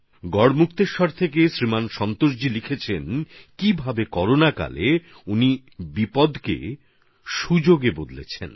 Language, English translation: Bengali, Shriman Santosh Ji from Garhmukteshwar, has written how during the Corona outbreak he turned adversity into opportunity